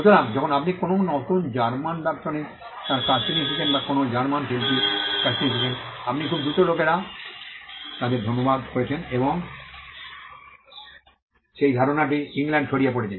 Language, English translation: Bengali, So, when you found a new German philosopher coming up with his work or a German artist coming up with this work, you found quickly people translating them and that idea spreading in England